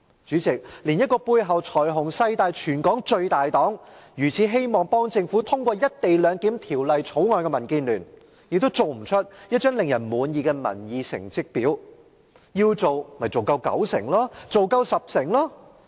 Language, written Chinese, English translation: Cantonese, 主席，連背後財雄勢大的全港最大黨、如此希望為政府通過《條例草案》的民建聯，也"做"不出一張令人滿意的民意成績表——要做，便應做到有九成或十成回應者支持。, President even DAB Hong Kongs largest political party which is backed by great financial resources and powers and is so eager to pass the Bill for the Government failed to create a satisfying public opinion report card―as it undertook to do so it should have produced a report card showing that 90 % or 100 % of the respondents supported the co - location arrangement